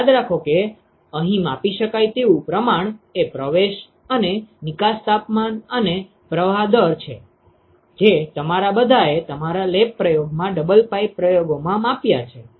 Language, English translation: Gujarati, So, remember that the measurable quantities here are the inlet and the outlet temperatures and the flow rates, which is what all of you have measured in your lab experiment double pipe experiments